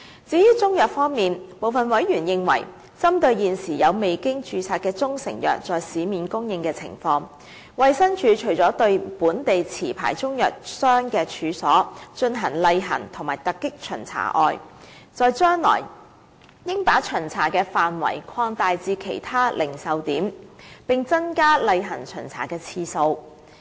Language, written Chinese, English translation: Cantonese, 至於中成藥方面，部分委員認為，針對現時有未經註冊的中成藥在市面供應的情況，衞生署除了對本地持牌中藥商的處所進行例行和突擊巡查外，在將來亦應把巡查範圍擴大至其他零售點，並增加例行巡查的次數。, As regards proprietary Chinese medicines some Members consider that to deal with the supply of unregistered proprietary Chinese medicines in the market apart from conducting routine inspections and unannounced checking of the premises of licensed local Chinese medicines traders in the future DH should also expand the scope of inspections to cover other retail outlets and increase the number of routine inspections